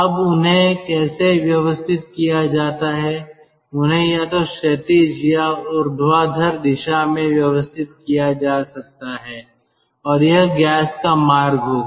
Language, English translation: Hindi, they can be arranged either horizontally or in vertical or in vertical direction and that will be the path of the gas